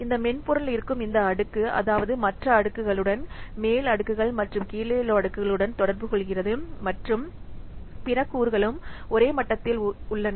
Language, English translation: Tamil, This layer where this software is present, this communicates with other layers, I mean upper layers and below layers and also other components are the same level